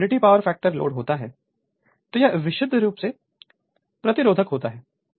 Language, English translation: Hindi, When load unity power factor, it is purely resistive right